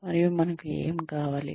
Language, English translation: Telugu, And, what do we need